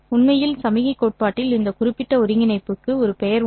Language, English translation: Tamil, In fact, in signal theory, this particular integral has a name